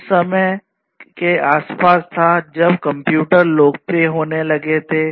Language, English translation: Hindi, And it was around that time that computers were starting to get popular